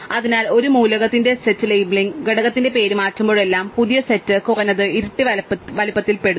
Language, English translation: Malayalam, Therefore, whenever the name of the set labeling component of an element changes, the new set it belongs to at least double the size